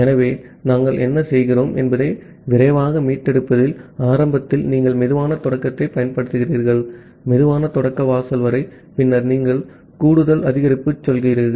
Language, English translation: Tamil, So, in fast recovery what we do, initially you apply slow start, up to slow start threshold, then you go for additive increase